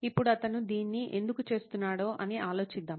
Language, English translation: Telugu, Now let us wonder why he was able to do this